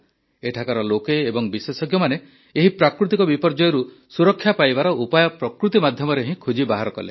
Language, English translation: Odia, The people here and the experts found the mitigation from this natural disaster through nature itself